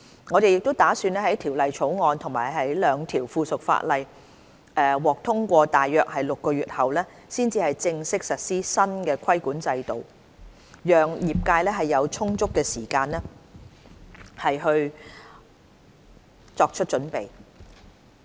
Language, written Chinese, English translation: Cantonese, 我們打算在《條例草案》及兩項附屬法例獲通過大約6個月後，才正式實施新的規管制度，讓業界有充足時間作出準備。, We intend to officially implement the new regulatory regime about six months after the passage of the Bill and the two pieces of subsidiary legislation so that the trade has sufficient time to prepare